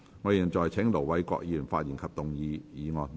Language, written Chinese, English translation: Cantonese, 我現在請盧偉國議員發言及動議議案。, I now call upon Ir Dr LO Wai - kwok to speak and move the motion